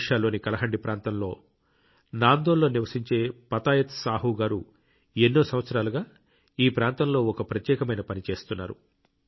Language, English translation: Telugu, Patayat Sahu ji, who lives in Nandol, Kalahandi, Odisha, has been doing unique work in this area for years